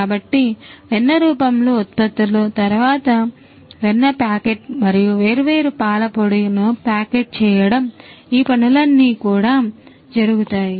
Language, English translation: Telugu, So, products in the form of butter, then packeting of butter and also packeting of the different you know powder milk all these things are done